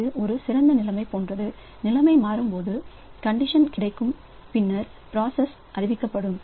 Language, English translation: Tamil, A better situation is like this that when the situation becomes our condition becomes available then the process may be notified